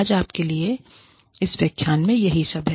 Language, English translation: Hindi, That is all, I have for you, in this lecture, today